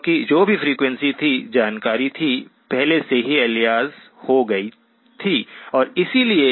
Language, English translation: Hindi, Because whatever frequency was, information was there, already got aliased down and therefore